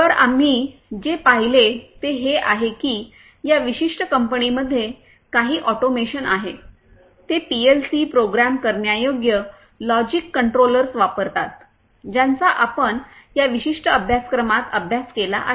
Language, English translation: Marathi, So, what we have seen is that in this particular company there is some automation, they use PLC Programmable Logic Controllers, which you have studied in this particular course